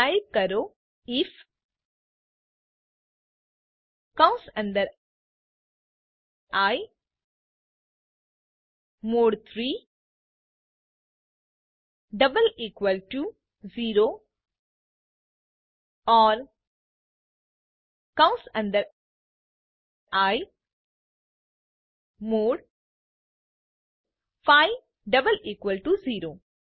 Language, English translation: Gujarati, So type, if within brackets i mod 3 double equal to 0 or within brackets i mod 5 double equal to 0